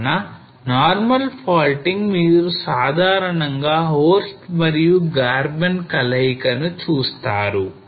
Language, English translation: Telugu, So normal faulting usually you will find the combination of horst and Graben